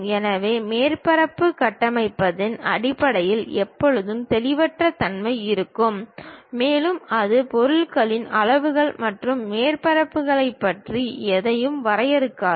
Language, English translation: Tamil, So, there always be ambiguity in terms of surface construction and it does not define anything about volumes and surfaces of the object